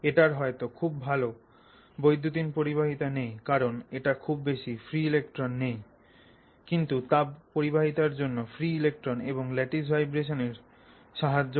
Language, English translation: Bengali, It may not have good electronic conductivity because you may not have free electrons for electronic conductivity but for thermal conductivity both free electrons as well as the lattice vibrations help